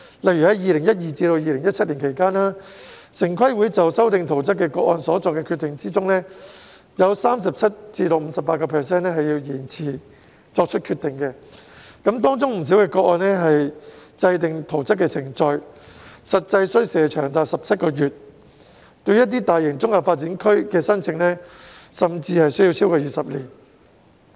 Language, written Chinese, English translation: Cantonese, 例如2012年至2017年期間，在城規會就修訂圖則個案所作的決定中，有 37% 至 58% 是需要延遲作出決定的，當中不少個案制訂圖則的程序實際需時長達17個月；一些大型綜合發展區的申請，甚至需時超過20年。, For instance TPB deferred decision on 37 % to 58 % of cases of amendment of plans during 2012 - 2017; the actual time required in plan - making in many cases could be as long as 17 months; the applications on some larger Comprehensive Development Area sites could even take over 20 years